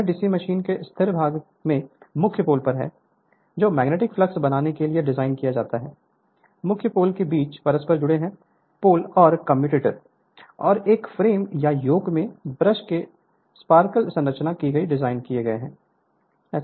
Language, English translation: Hindi, The stationary part of a DC machine consists of main poles, designed to create the magnetic flux, commutating poles inter interposed between the main poles and your designed to your sparkles operation of the brushes at the commutator and a frame or yoke